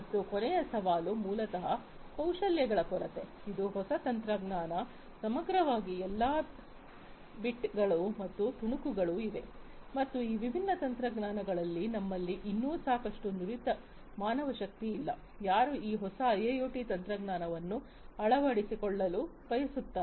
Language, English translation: Kannada, And the last challenge is basically, the lack of skills, this is a new technology, holistically all the bits and pieces have been there, but holistically, it is a new technology and we still do not have enough skilled manpower in these different industries who want to adopt this new technology of IIoT